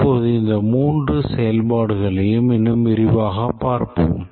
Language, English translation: Tamil, Now let's look at these three activities in more detail